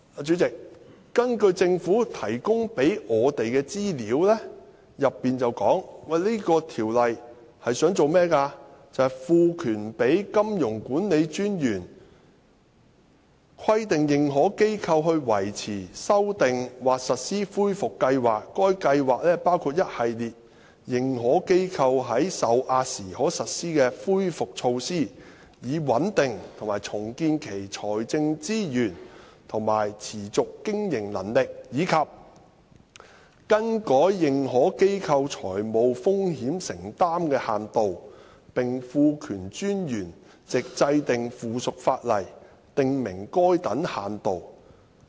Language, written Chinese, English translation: Cantonese, 主席，政府提供給我們的資料當中提到《條例草案》的作用，就是"賦權金融管理專員規定認可機構維持、修訂或實施恢復計劃。該計劃包括一系列認可機構在受壓時可實施的恢復措施，以穩定及重建其財政資源和持續經營能力；以及更改認可機構財務風險承擔的限度，並賦權專員藉制定附屬法例，訂明該等限度"。, President the purpose of the Bill as stated in the information the Government provided for us is to empower the Monetary Authority MA to require an authorized institution AI to maintain revise or implement a recovery plan which should set out the measures that the institution can take to stabilize and restore its financial resources and viability in the event that it comes under severe stress; and change the limitations on financial exposures incurred by AIs and to empower MA to make rules for such limitations